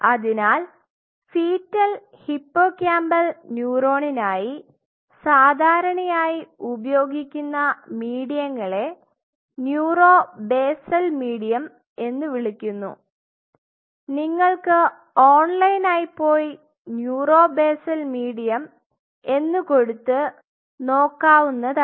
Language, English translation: Malayalam, So, the mediums which are commonly used for fetal hippocampal neuron are called neuro basal medium you can go online and check it out neuro basal medium